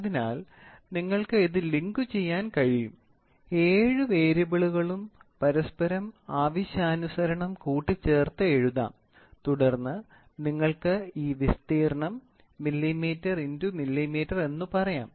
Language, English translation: Malayalam, So, you can see, you can link it, the seven variables can be rewritten linked with each other and then you get this area is done in millimeter cross millimeter